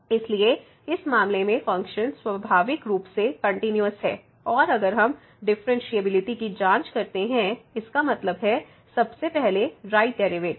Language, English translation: Hindi, So, the function is naturally continues in this case and if we check the differentiability; that means, the right derivative first